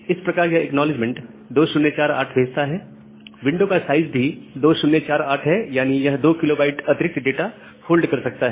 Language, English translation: Hindi, So, it sends an acknowledgement to it, 2048 and the window size has 2048 so, it can hold 2 kB of more data